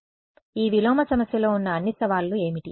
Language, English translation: Telugu, So, what all challenges are there in this inverse problem